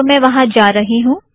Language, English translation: Hindi, SO let me go there